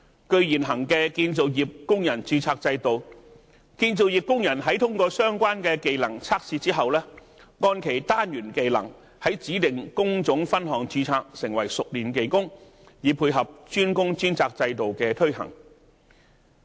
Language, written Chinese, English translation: Cantonese, 據現行的建造業工人註冊制度，建造業工人在通過相關技能測試之後，按其單元技能在指定工種分項註冊，成為熟練技工，以配合"專工專責"制度的推行。, Under the existing construction workers registration system construction workers can be registered as skilled workers in the designated trade divisions according to their respective modular skills after passing relevant trade tests to cope with the implementation of DWDS